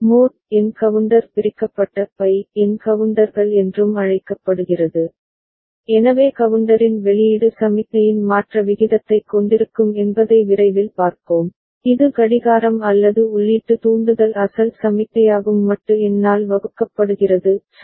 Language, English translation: Tamil, And mod n counter is also called divided by n counters, so we shall soon see that the output of the counter effectively will be having the rate of change of the signal, which is original signal that is the clock or the input trigger divided by the modulo number ok